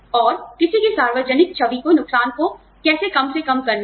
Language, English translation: Hindi, And, how to minimize, the damage to, one's public image